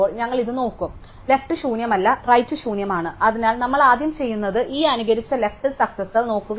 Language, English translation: Malayalam, So, left is not nil, right is nil, so what we do first of all is we look at this immediate left successor